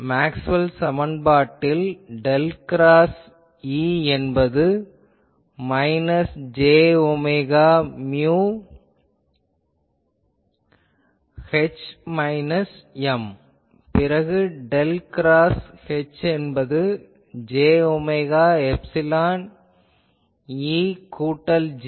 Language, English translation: Tamil, So, I can write del cross E is equal to minus j omega mu H minus M, then del cross H is equal to j omega epsilon E plus J